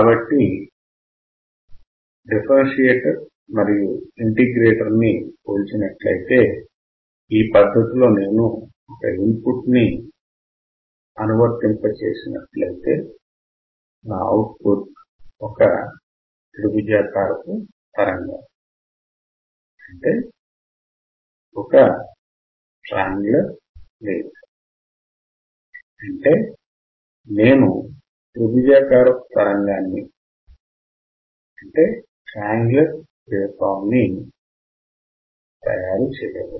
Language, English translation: Telugu, So, if I compare the differentiator and integrator, If I apply input, which is in this particular fashion my output is this which is a triangular wave I can make a triangular wave, if I input is rectangular wave I can make a triangle a square wave I can change it to the other signal